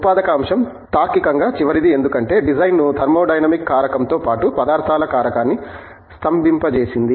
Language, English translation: Telugu, The manufacturing aspect logically comes last because, having frozen the design both the thermodynamic aspect as well as the materials aspect